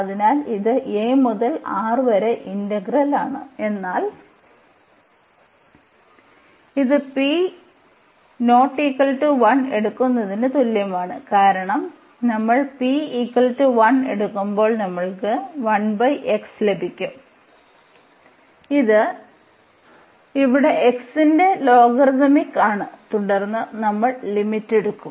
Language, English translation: Malayalam, So, this is the integral then a to R, but this is like taking p is not equal to 1 because when we take p is equal to 1 we will get this 1 over x which is the logarithmic here of x and then we will take the limit